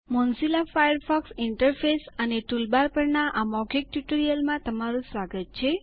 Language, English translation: Gujarati, Welcome to the Spoken Tutorial on the Mozilla Firefox Interface and Toolbars